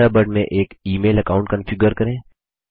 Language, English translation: Hindi, Configure an email account in Thunderbird